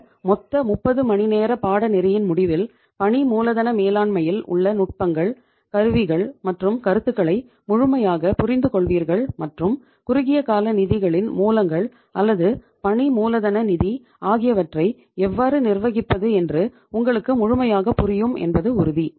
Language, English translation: Tamil, And this total course of 30 hours would would finally make you equipped with the techniques and tools and the complete understanding with the concepts of working capital management and Iím sure that youíll be clear about that how to manage the short term sources of funds or the working capital finance